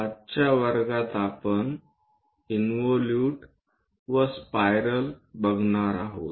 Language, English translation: Marathi, In today's class, we are going to look at involute and spirals